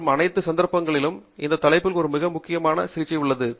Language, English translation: Tamil, And in all cases, there is a much more elaborate treatment of these topics